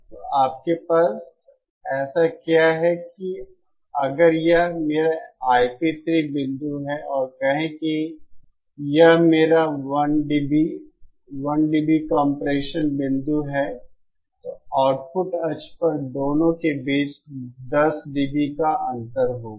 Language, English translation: Hindi, So what you have is that this say if this is my I p 3 point and say this is my 1 dB compression point , then there will be 10 dB difference between the two on the output axis